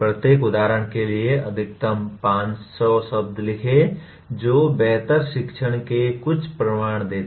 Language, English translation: Hindi, Write maximum 500 words for each example giving some evidence of better learning